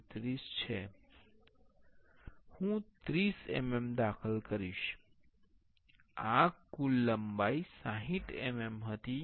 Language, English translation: Gujarati, 633, I will enter 30 mm, this total length was 60 mm